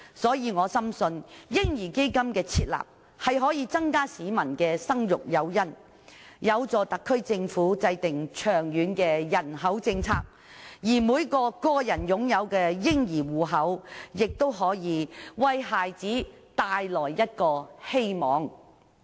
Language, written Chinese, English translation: Cantonese, 所以，我深信設立"嬰兒基金"，可以增加市民的生育誘因，有助特區政府制訂長遠的人口政策，而每個個人擁有的嬰兒戶口，亦可以為孩子帶來希望。, This is why I firmly believe that the baby fund if established can provide members of the public with additional incentives to give birth which can assist the Special Administrative Region Government in formulating a long - term population policy . The personal baby fund account owned by everyone can also bring children hope